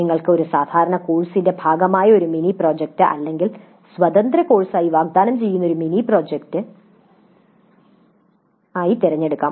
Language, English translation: Malayalam, You can choose a mini project that is part of a regular course or a mini project offered as an independent course